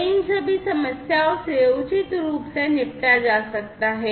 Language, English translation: Hindi, So, all these problems could be dealt with appropriately